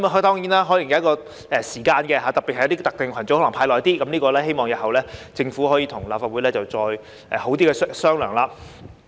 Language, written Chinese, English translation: Cantonese, 當然，這可能有一個時限，而對於一些特定群組，可能須派發較長時間，我希望日後政府可以跟立法會好好商量。, Of course there may be a time limit for distribution and for some particular groups perhaps the distribution period should be longer . I hope that the Government can properly discuss it with the Legislative Council in the future